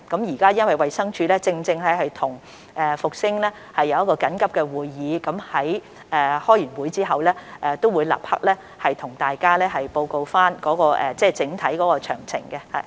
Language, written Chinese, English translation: Cantonese, 由於衞生署現時正在與復星實業進行緊急會議，他們在會議後會立即向大家報告整體詳情。, As DH is now holding an urgent meeting with Fosun Industrial they will give us an account on the overall details right after the meeting